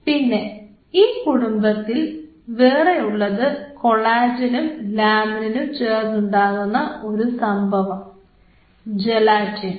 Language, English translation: Malayalam, Then in the same family we have a mix kind of stuff of collagen laminin called Gelatin